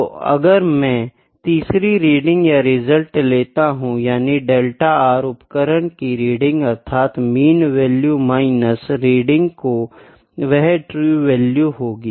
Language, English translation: Hindi, So, if I take third reading or result as r, ok, the delta R is equal to the reading that is from the instrument that is the mean value minus reading that is true value